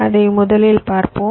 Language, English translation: Tamil, let us see that first